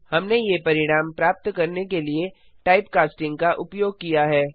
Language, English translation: Hindi, We used type casting to obtain these result